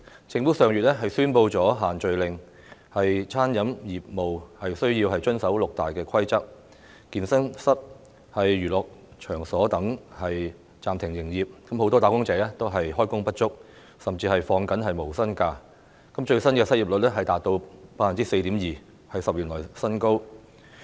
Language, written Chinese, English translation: Cantonese, 政府上月宣布"限聚令"，餐飲業務需要遵守六大規則，健身室和娛樂場所等暫停營業，很多"打工仔"開工不足，甚至要放取無薪假，最新失業率達到 4.2%， 是10年來新高。, Under this order the food and beverage industry is required to comply with six major rules and the operation of fitness rooms places of entertainment and so on has to be suspended . Hence many wage earners are underemployed and even have to take no - pay leave . The latest unemployment rate has reached a 10 - year high level of 4.2 %